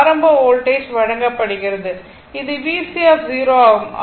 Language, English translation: Tamil, Initial voltage is given right; that is V C 0